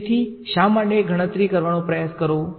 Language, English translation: Gujarati, So, why try to calculate